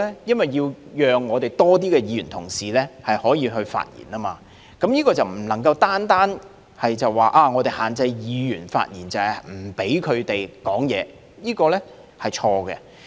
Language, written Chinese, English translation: Cantonese, 因為要讓更多議員可以發言，這點便不能單說限制議員發言，就是不讓他們發言，這是錯誤的。, The reason is to allow more Members to speak . On this point it is erroneous to simplistically equate restricting Members speeches with disallowing Members from speaking